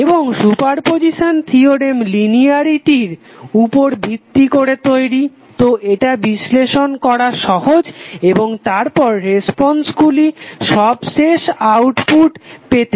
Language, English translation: Bengali, And super position theorem is based on linearity, so it is easier to analyze and then at the responses individually to get the final outcome